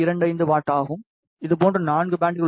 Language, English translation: Tamil, 25 watt per band, there are 4 such bands